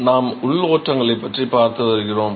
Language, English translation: Tamil, We have been looking at internal flows